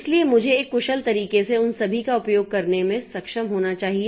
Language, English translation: Hindi, So, I should be able to use all of them in a way in an efficient manner